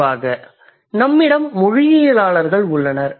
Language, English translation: Tamil, So, what do the linguists do